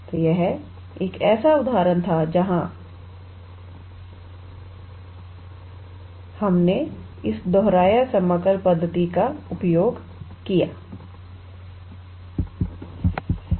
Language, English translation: Hindi, So, this was one such example where we use this repeated integral method